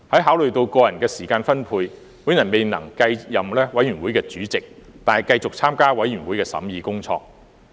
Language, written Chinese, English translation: Cantonese, 考慮到個人的時間分配，我未能繼續擔任法案委員會主席，但繼續參與法案委員會的審議工作。, In view of my own time allocation I was unable to continue to chair the Bills Committee but I continued to participate in its scrutiny work